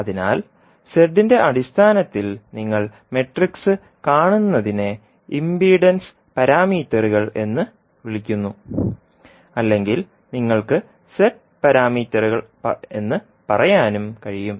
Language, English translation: Malayalam, So, what you see the matrix in terms of Z is called impedance parameters or you can also say the Z parameters